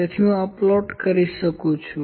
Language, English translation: Gujarati, So, I can just plot this